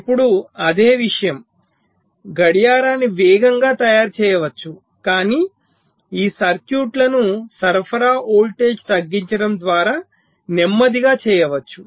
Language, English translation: Telugu, now clock can be made faster, but these circuits can be made slower by reducing the supply voltage